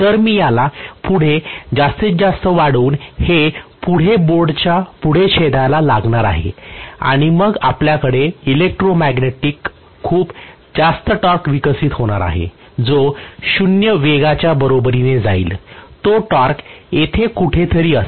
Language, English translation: Marathi, So I am going to have essentially by just extend this further it will probably intersect beyond the board further and then we are going to have actually the electromagnetic torque that is developed, is going to be enormously high at speed equal to 0, that torque will be somewhere here further